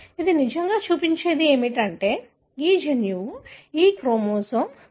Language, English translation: Telugu, What it really shows is that this gene is located around this region of this chromosome, chromosome 6